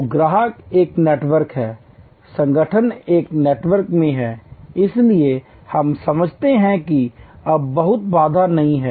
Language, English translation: Hindi, So, customer is a network, the organizations are in a network, so we understand that now there is not much of a barrier